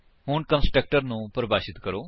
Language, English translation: Punjabi, Now let us define a constructor